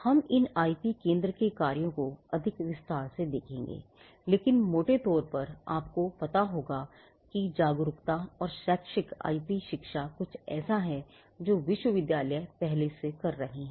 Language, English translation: Hindi, Now, these we will look at these the functions of an IP centre in greater detail, but broadly you would know that awareness and educational IP education is something that universities are already doing